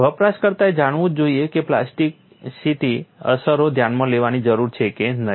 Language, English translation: Gujarati, The user must know whether or not plasticity effects need to be considered